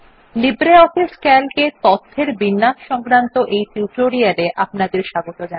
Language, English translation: Bengali, Welcome to the Spoken tutorial on LibreOffice Calc – Formatting Data in Calc